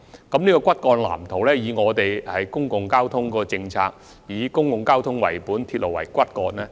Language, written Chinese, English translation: Cantonese, 按照現行公共交通政策，這個骨幹藍圖須以公共交通為本，鐵路為骨幹。, And under the existing public transport policy the guiding principle of drawing up such an overall blueprint is to develop a public transport - oriented system with railway as the backbone